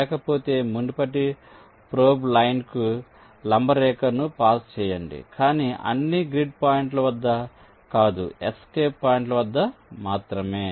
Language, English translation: Telugu, otherwise, pass a perpendicular line to the previous probe line, but not at all grid points, only at the escape points